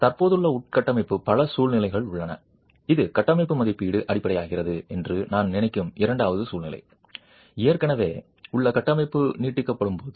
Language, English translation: Tamil, There are several situations where existing infrastructure, this is the second situation where I would think structural assessment becomes fundamental when an existing infrastructure is being extended